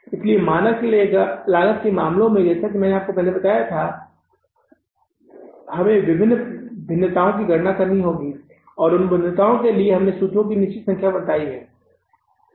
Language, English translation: Hindi, So, in case of the standard costing as I told you, we had to calculate different variances and for those variances we were given the set number of the formulas